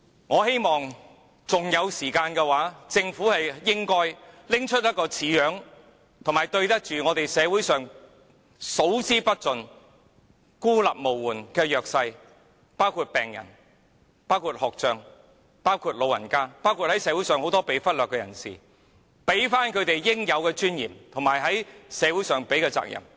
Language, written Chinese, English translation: Cantonese, 我希望政府還有時間，可以拿出一份像樣的預算案來，這樣還可對得起社會上數之不盡孤立無援的弱勢人士，包括病人、有學習障礙的學童、長者和社會上眾多被忽略的人，給他們應有的尊嚴，而政府亦應對社會負起應負的責任。, I do not wish to see the recurrence of such incidents . The cause of such tragedies is the Governments failure to fulfil its social responsibility over the years to safeguard the interests of a minority of school children and their families who have been neglected . The Government is in possession of so much money and the Treasurys surplus has been on the increase